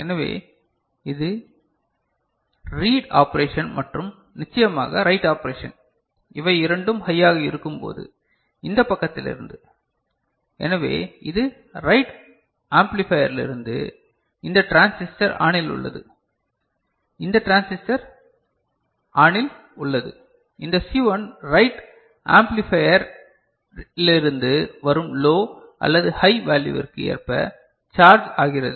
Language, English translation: Tamil, So, that is the read operation and the write operation of course, when both of them are high so, from this side; so, this is from the write amplifier this one, this transistor is ON, this transistor is ON; this C1 gets charged according to low or high value that is coming from the write amplifier